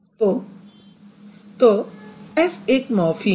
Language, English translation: Hindi, So S is going to be one morphem